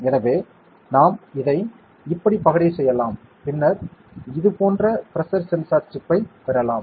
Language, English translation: Tamil, So, we can dice it like this, then we can get a pressure sensor chip like this